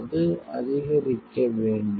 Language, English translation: Tamil, So, it will have to increase